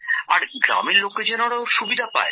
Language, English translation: Bengali, And the people of the village also benefit from it